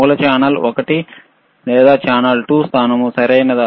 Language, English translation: Telugu, Source channel one or channel 2 position, right